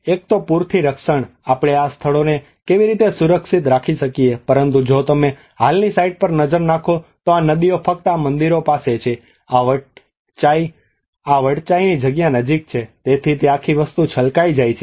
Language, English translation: Gujarati, One is the protection from flooding, how we can protect this sites but if you look at this existing site if the river is just these temples have this Wat Chai place is just near to the so it all the whole thing gets flooded